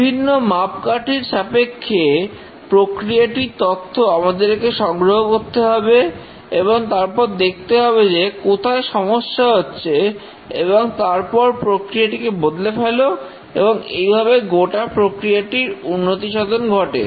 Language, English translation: Bengali, We need to have metrics collected about the process and then see where there are problems and then change the process itself and the process continually improves